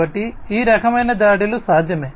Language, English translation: Telugu, So, these kinds of attacks are possible